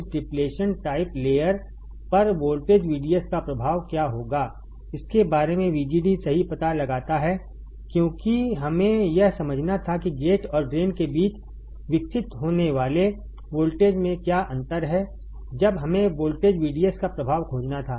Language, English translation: Hindi, What will happen the effect of voltage VDS on this depletion layer next find out VGD right because we had to understand what is the difference in the what is the voltage that is developed between gate and drain what when we had to find the effect of voltage VDS